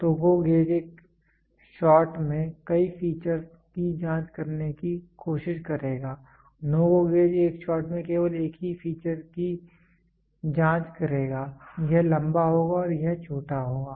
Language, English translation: Hindi, So, GO gauge will try to check multiple features in one shot, NO GO gauge will check only one feature in one shot this will be long and this will be short